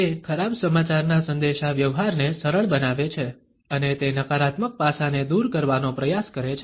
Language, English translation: Gujarati, It eases off communication of bad news and it tries to take the edge off of a negative aspect